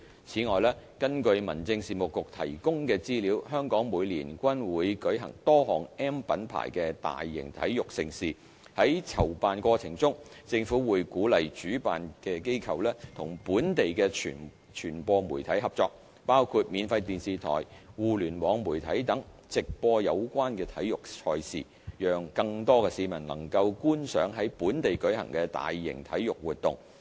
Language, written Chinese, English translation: Cantonese, 此外，根據民政事務局提供的資料，香港每年均會舉行多項 "M" 品牌的大型體育盛事，在籌辦過程中，政府會鼓勵主辦機構與本地的傳播媒體合作，包括免費電視台、互聯網媒體等，直播有關體育賽事，讓更多市民能夠觀賞在本地舉行的大型體育活動。, Furthermore according to information provided by the Home Affairs Bureau Hong Kong hosts a number of major sports events accredited under the M Mark system every year . In the course of preparation and organization the Government will encourage the organizers to cooperate with the local media including free TV broadcasters and online media etc in arranging live broadcast to enable more members of the public could watch major sports events held locally